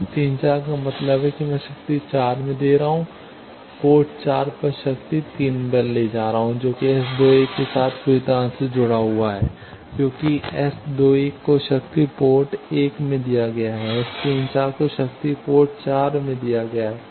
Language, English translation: Hindi, S 34 means I am giving at power 4 power at port 4 taking at 3 that is totally unconnected with S 21 because S 21 is giving at power is given at port 1, S 34 is power is given at port 4